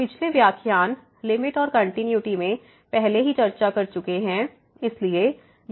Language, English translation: Hindi, We have already discussed in the previous lecture Limits and Continuity